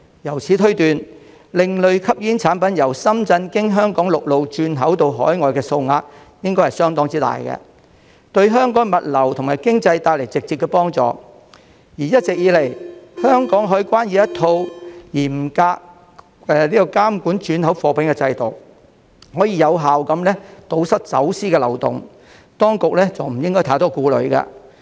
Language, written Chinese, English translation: Cantonese, 由此推斷，另類吸煙產品由深圳經香港陸路轉口到海外的數額應該相當大，對香港物流及經濟帶來直接幫助；而一直以來，香港海關已有一套嚴格監管轉口貨物的制度，可以有效堵塞走私的漏洞，當局不應太多顧慮。, Therefore we can infer that the amount of alternative smoking products transported from Shenzhen by land to Hong Kong for re - export overseas should be considerable and this will directly contribute to the logistics industry and economy of Hong Kong . Besides the Customs and Excise Department all along has in place a stringent system for monitoring transhipment cargoes effectively plugging the loopholes for smuggling . The authorities should not be over - worried